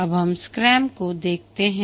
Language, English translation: Hindi, Now let's look at scrum